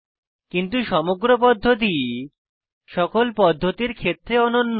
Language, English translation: Bengali, But the overall procedure is identical in all the methods